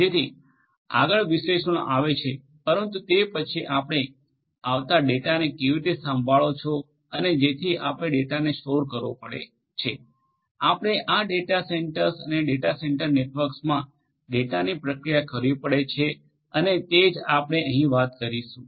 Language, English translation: Gujarati, So, analysis comes next, but then how do you handle the data that is coming so you have to store the data, you have to process the data in these data centres and the data centre networks and that is what we are going to talk about here